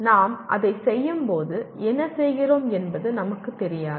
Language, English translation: Tamil, We do not know what we are doing when we do it